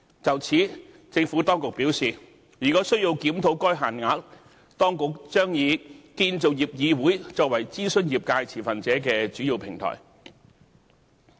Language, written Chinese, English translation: Cantonese, 就此，政府當局表示，如果需要檢討該限額，當局將以建造業議會作為諮詢業界持份者的主要平台。, In this regard the Administration has advised that CIC will be the main platform for consulting industry stakeholders if the threshold needs to be reviewed